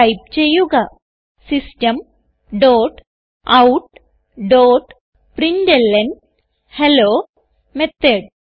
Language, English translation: Malayalam, So type System dot out dot println Hello Method